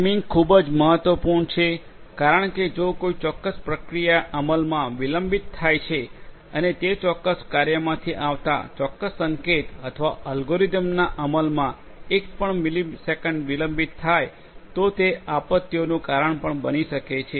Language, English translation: Gujarati, Timing is very important because if you know if the certain if a particular process gets delayed in execution and that particular signal coming from that particular routine or that algorithm under execution gets delayed by even a millisecond that might also lead to disasters